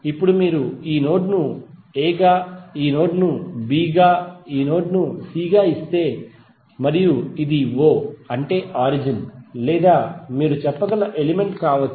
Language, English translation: Telugu, Now if you give this node as a this node as b this node as c and this is o that is the ground or may be origin you can say